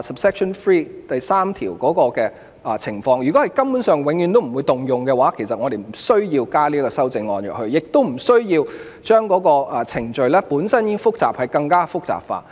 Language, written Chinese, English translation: Cantonese, 如果有關情況根本永遠不會適用的話，我們就不需要加入修正案，亦不需要把本身已經複雜的程序更複雜化。, If this circumstance never happens there is no need for the current amendment to cover this circumstance to complicate the already complicated procedure